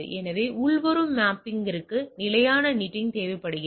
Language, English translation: Tamil, So, inbound mapping required say static NATing